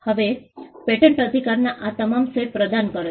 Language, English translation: Gujarati, Now, patents offer all these sets of rights